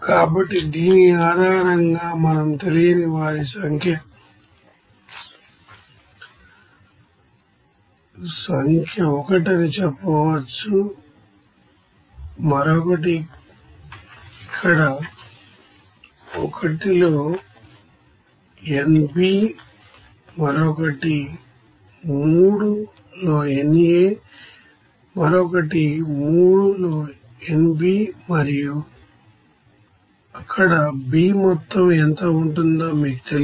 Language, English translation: Telugu, So, based on which we can say that number of unknowns are here one is A, another is nB here in 1, another is nA in 3, another is nB in 3 and also you do not know what will be the amount of B there